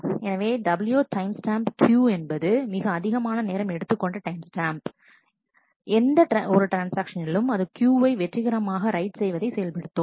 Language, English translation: Tamil, So, w timestamp Q is the largest time stem of any transaction that executed a write Q successfully